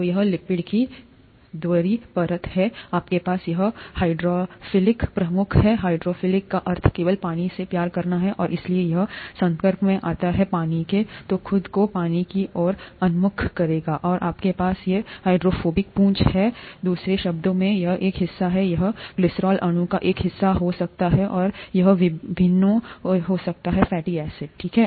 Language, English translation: Hindi, So this is the bi layer of lipids, you have the hydrophilic heads here, hydrophilic just means water loving, and therefore when it is exposed to water, it will tend to orient itself towards water, and you have these hydrophobic tails; in other words, this is a part, this could be a part of the glycerol molecule and this could be the various fatty acids, okay